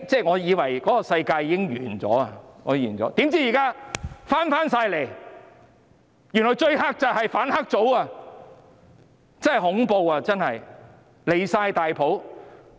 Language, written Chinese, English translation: Cantonese, 我以為那個世界已經終結了，怎料現在全部變回來，原來最黑的就是反黑組，真恐怖！, While I thought that world had come to an end all are now coming back much to our surprise . It turns out that the very triad is the anti - triad unit itself . How terrible!